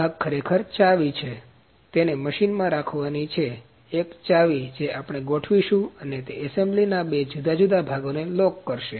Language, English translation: Gujarati, This component is actually a key, it is to be kept in the machine, a key that we will set it and that will lock the two different parts of the assembly